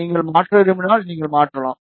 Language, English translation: Tamil, If you want to change, you can change